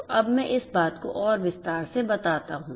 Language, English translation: Hindi, So, let me now elaborate this thing further